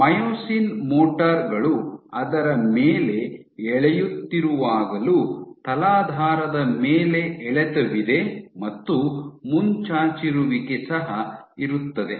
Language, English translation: Kannada, Even when myosin motors are pulling on it, what you will have is tractions on the substrate and plus you will have protrusion